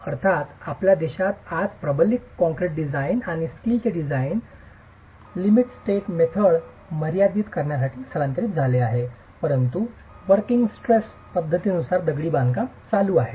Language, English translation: Marathi, Of course, today in our country, reinforced concrete design and steel design have migrated to limit state methods, but masonry continues to be operated under the working stress method